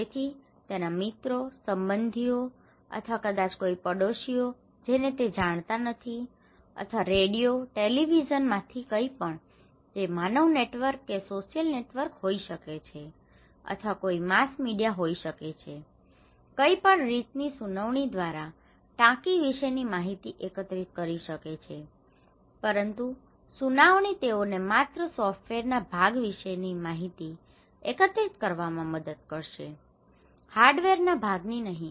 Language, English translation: Gujarati, So, his friends, relatives or maybe someone neighbours he does not know or from radio, televisions anything, it could be human networks, it could be social networks anything, a mass media so, he or she can collect information about tank through hearing but hearing can only allow you to collect information about the software part, not the hardware part